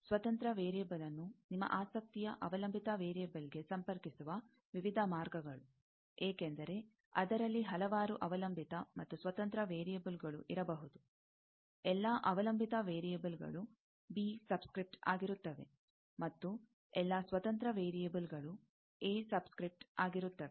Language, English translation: Kannada, Various paths connecting the independent variable to the dependent variable of your interest, because, there may be several dependent and independent variables in that; all dependent variables will be b something, b subscript, and all independent variables are a subscript